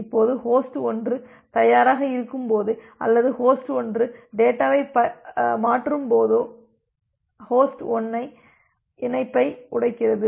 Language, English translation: Tamil, Now, it is just like that whenever host 1 is ready to or whenever host 1 is done transferring the data, host 1 breaks the connection